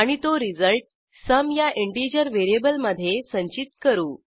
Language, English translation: Marathi, And store the result in integer variable sum